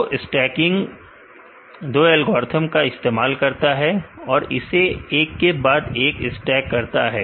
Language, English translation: Hindi, So, stacking simply uses two algorithms and stack it one by one